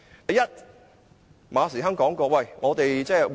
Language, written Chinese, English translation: Cantonese, 第一，馬時亨說，我們會向前看。, First Frederick MA said that they should be forward - looking